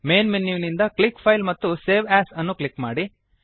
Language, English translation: Kannada, From the Main menu, click File and Save As